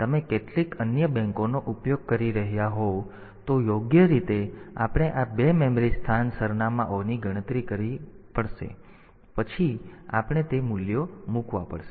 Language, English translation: Gujarati, If you are using some other banks, appropriately we have to calculate these two memory location addresses and then we have to put those values